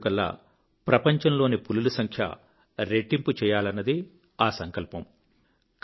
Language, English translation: Telugu, It was resolved to double the number of tigers worldwide by 2022